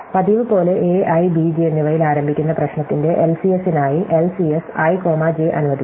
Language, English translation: Malayalam, So, as usual let LCS i comma j, stand for the LCS of the problem starting at a i and b j